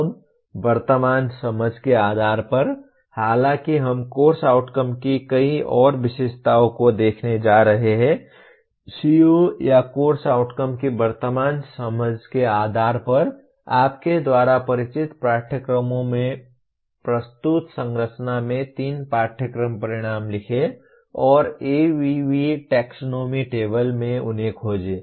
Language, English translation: Hindi, Now, based on the current understanding, though we are going to look at many more features of course outcomes, based on the present understanding of the CO or course outcome, write three course outcomes in the structure presented from the courses you are familiar with and locate them in ABV taxonomy table